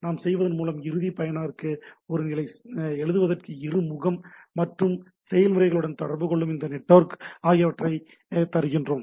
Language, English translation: Tamil, See by doing this we are giving a interface to the end user to write program one network which can communicate with the other processes, right